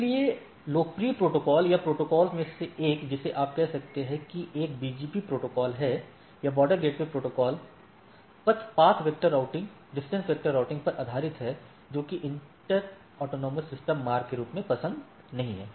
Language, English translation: Hindi, So, one of the popular protocol or the ‘the’ protocol you can say there is a BGP protocol, or border gateway protocol based on the path vector routing distance vector protocol not preferred as the inter AS routing, right